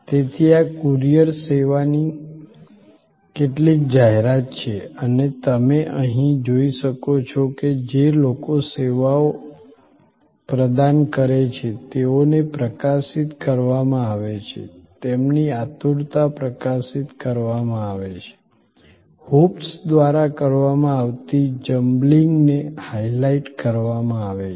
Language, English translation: Gujarati, So, this is some advertisement of the courier service and as you can see here, the people who provides services are highlighted, their eagerness is highlighted, the jumbling through the hoops that is highlighted